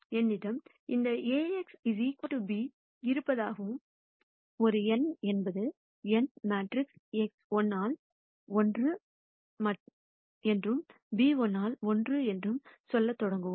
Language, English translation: Tamil, We will start saying I have this Ax equal to b and a is an n by n matrix x is n by 1 and b is n by 1